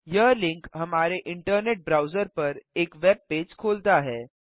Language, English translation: Hindi, This link opens a web page on our internet browser